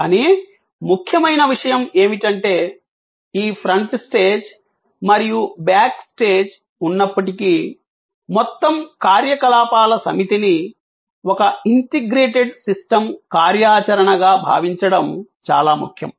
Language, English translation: Telugu, But, important point is, that even though there is this front stage and the back stage, it is in service very important to think of the whole set of activities as one integrated system activity